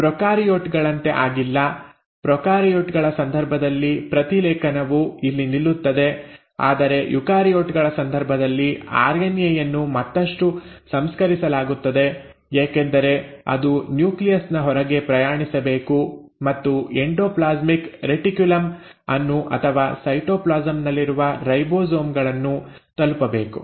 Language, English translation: Kannada, So what has happened is unlike prokaryotes; in case of prokaryotes the transcription stops here, but in case of eukaryotes the RNA is further processed because it has to travel outside the nucleus and reach to either the endoplasmic reticulum or the ribosomes in the cytoplasm